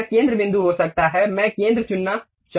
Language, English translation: Hindi, This might be the center point, I would like to pick pick center